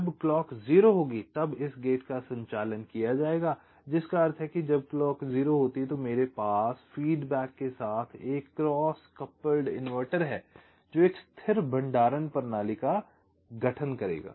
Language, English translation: Hindi, when clock will be zero, then this gate will be conducting, which means when clock is zero, i have a cross couple inverter with feedback that will constitute a stable storage system